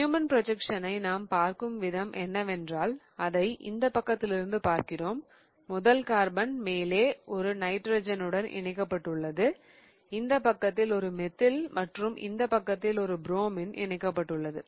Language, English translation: Tamil, We know that the way we look at Newman projection is that we are looking it from this side and the first carbon is attached to a nitrogen on the top, a methyl this side and a bromine this side, right